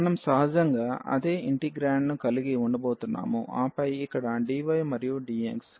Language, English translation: Telugu, We are going to have the same integrand naturally and then here dy and dx